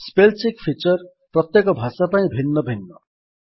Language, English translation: Odia, The spell check feature is distinct for each language